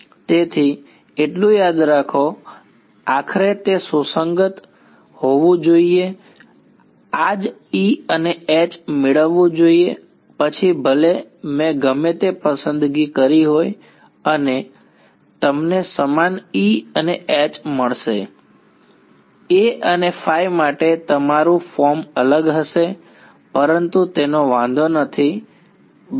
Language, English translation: Gujarati, So, remember so, what finally, what should it be consistent with I should get this same E and H regardless of whatever choices I have made and you will get the same E and H, your form for A and phi will be different, but that does not matter ok